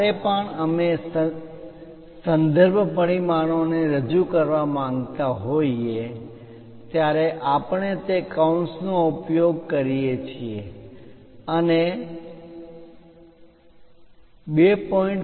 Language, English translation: Gujarati, Whenever, we would like to represents reference dimensions we use that parenthesis and 2